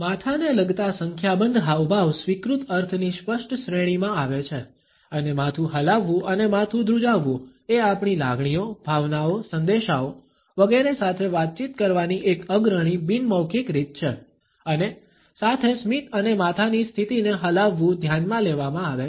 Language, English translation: Gujarati, A number of head related gestures fall into clear categories of accepted meaning and nodding of head and shaking of the head is also a prominent nonverbal way of communicating our feelings, emotions, messages, etcetera along with a smiles and head positions nod is considered